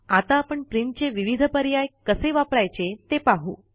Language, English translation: Marathi, We will now see how to access the various options of Print